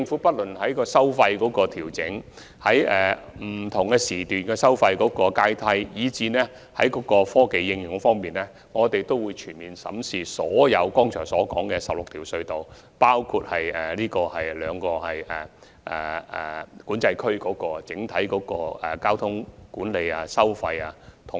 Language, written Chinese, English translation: Cantonese, 不論在調整收費、釐定不同時段的收費階梯，以至科技應用方面，我們會全面審視剛才提及的所有16條隧道及2個管制區，以制訂整體交通管理及收費安排。, In respect of the 16 tunnels and the two Control Areas mentioned just now we will thoroughly examine the options of toll adjustment establishment of a hierarchy of tolls for different periods and technology application so as to formulate the overall traffic management and charging arrangements